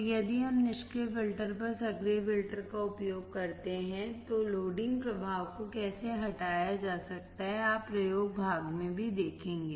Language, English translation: Hindi, So, how loading effect can be removed if we use active filter over passive filters, you will see in the experiment part as well